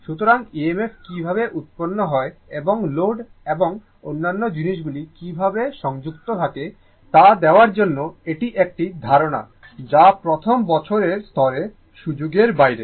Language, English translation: Bengali, So, this is an idea to give you how EMF is generated and how the your load and other thing is connected that is beyond the scope at the first year level